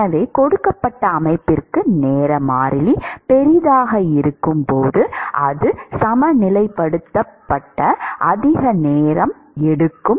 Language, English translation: Tamil, So, when the time constant is large for a given system, it takes much longer for it to equilibrate